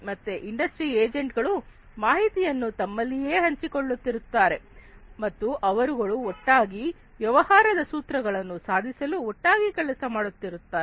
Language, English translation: Kannada, So, these industry agents would be sharing information between themselves, and they would be working together for achieving the objectives of the business